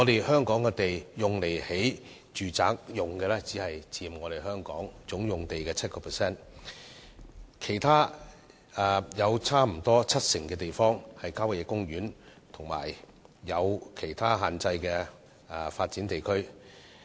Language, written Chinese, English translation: Cantonese, 香港供興建住宅的土地面積只佔全港總用地的 7%， 其餘接近七成土地被列為郊野公園，以及受限制的發展地區。, The area of land available for the construction of residential buildings in Hong Kong accounts for a mere 7 % of the total land area across the territory . The remaining 70 % or so of land is designated as country parks and restricted development areas